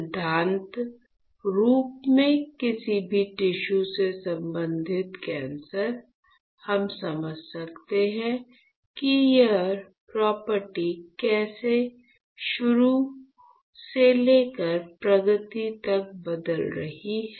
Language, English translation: Hindi, So, in principle any tissue related cancer, we can understand how it is property is changing from onset to the progression right